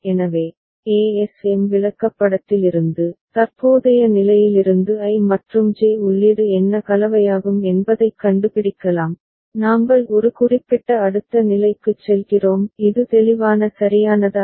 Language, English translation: Tamil, So, from the ASM chart, we can find out for what combination of the input I and J from current state, we go to a specific next state; is it clear right